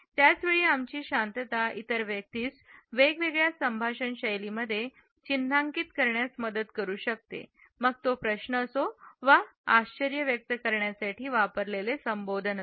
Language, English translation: Marathi, At the same time our silence can help the other person mark the difference in discourse types and conversational styles, whether it is a question or a surprised expression